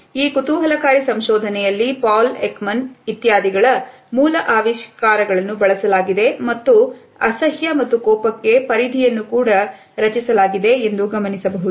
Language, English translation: Kannada, In this very interesting research, we find that the basic findings of Paul Ekman etcetera have been used and bounding boxes for disgust and anger have been created